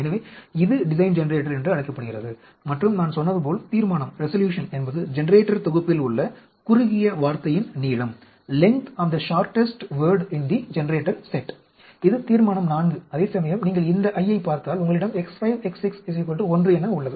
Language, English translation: Tamil, So, this is called a Design Generator, and as I said resolution is length of the shortest “word” in the generator set, this is resolution IV whereas if you look at this I; you have X 5, X 6, is equal to 1